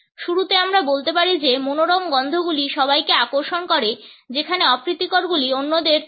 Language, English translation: Bengali, At the outset we can say that pleasant smells serve to attract whereas, unpleasant ones repel others